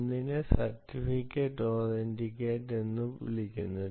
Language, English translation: Malayalam, one is called certificate authority